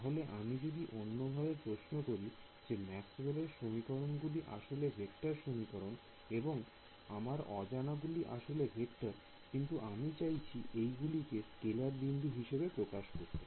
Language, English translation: Bengali, So, let me sort of posses question in another way, Maxwell’s equations are essentially vector equations right and so, my unknowns are actually vectors, but I am trying to express them in terms of scalar nodes